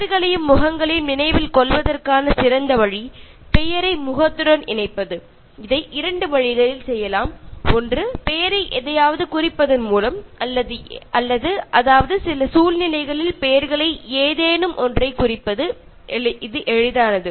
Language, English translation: Tamil, And the best way to remember names and faces is to associate the name to the face which can be done in two ways: One, by making the name mean something this becomes easy in situations where the names themselves mean something